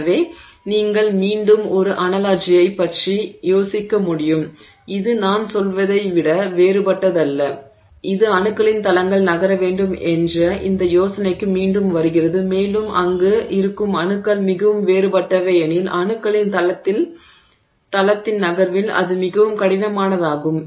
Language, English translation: Tamil, So, you can think of again an analogy which is no different than, I mean it again comes down to this idea that planes of atoms have to move and the more dissimilar the atoms that are present there the more jarring is the movement of that plane of atoms